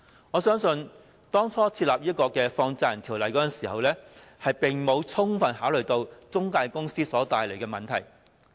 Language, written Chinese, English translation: Cantonese, 我相信當初制定《放債人條例》時並未有充分考慮到中介公司所帶來的問題。, I think initially when the Money Lenders Ordinance was enacted the problems brought about by intermediaries had not been fully taken into consideration